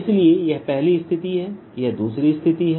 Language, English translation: Hindi, so this is first situation, this is a second situation